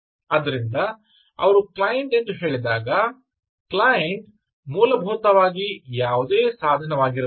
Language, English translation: Kannada, so when they say a client client essentially is a it can be any device, right